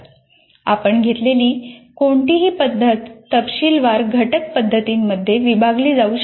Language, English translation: Marathi, And any method that you take can also be broken into detailed component methods